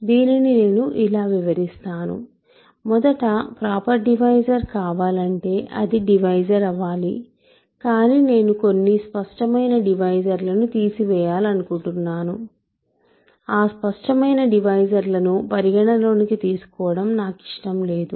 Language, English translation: Telugu, So, let me explain this, first of all in order for a proper divisor in order to be a proper divisor, it must be a divisor, but I want to rule out certain obvious divisors, I do not want to consider those trivial divisors